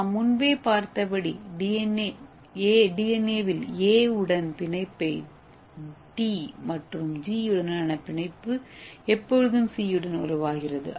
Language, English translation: Tamil, So as I told you this A always form bonds with T and G always form bond with C, okay